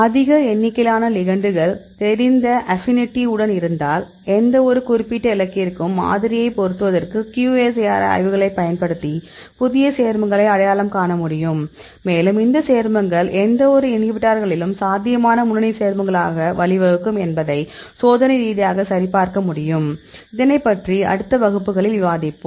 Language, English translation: Tamil, If you have a large number of ligands with known affinity; for any particular target then we can use the QSAR studies to fit the model and using that we can identify new compounds that also you can experimentally verify, whether these compounds could lead as an potential lead compounds as any inhibitors; that we will discuss in the next classes